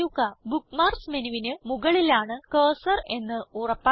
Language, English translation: Malayalam, * Ensure that the cursor is over the Bookmarks menu